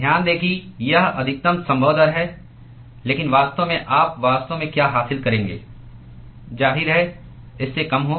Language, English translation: Hindi, So, note that this is maximum possible rate, but what you will actually achieve in reality will; obviously, be lesser than this